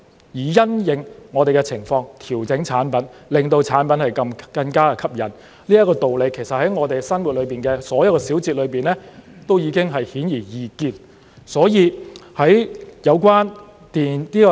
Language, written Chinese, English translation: Cantonese, 因應我們的情況調整產品，令產品更加吸引，這個道理在我們生活中的所有小節都已經顯而易見。, Products can be modified to suit our tastes thus making them more appealing . This has been very obvious in all the minute details of our lives